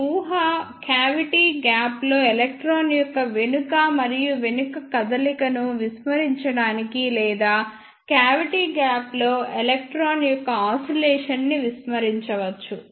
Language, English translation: Telugu, This assumption is made to neglect the back and forth movement of electron in the cavity gap or we can say oscillation of the electron in the cavity gap